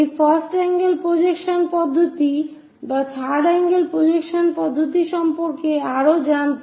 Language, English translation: Bengali, To know more about this first angle projection system or third angle projection system